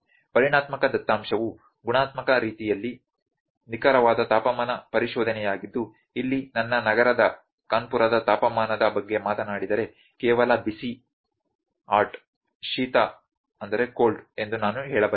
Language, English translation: Kannada, The quantitative data is the exact temperature exploration in the qualitative way I would say I can say is just hot cold if I talk about the temperature of my city Kanpur here